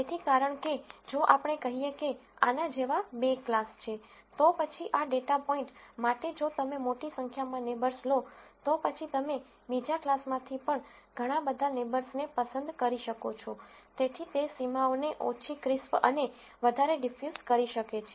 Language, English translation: Gujarati, So, because if let us say there are two classes like this, then for this data point if you take a large number of neighbors, then you might pick many neighbors from the other class also, so that can make the boundaries less crisp and more di use